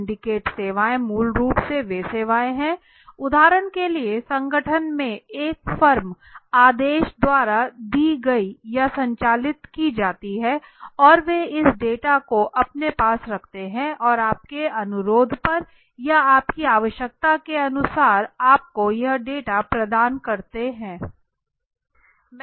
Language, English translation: Hindi, What are the syndicated services syndicated services are basically those services are those services which are for example a done or conducted by a firm order in organization and they keep this data with them and on your request or according to your requirement they provide this data to you okay, so I just spoken about it